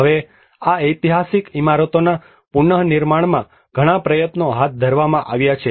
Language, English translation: Gujarati, Now a lot of efforts have been taken up in the reconstruction of these historic buildings